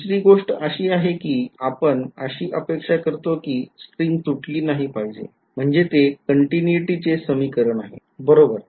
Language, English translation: Marathi, The other thing is that we physically expect that the string does not break, so that is equation of continuity right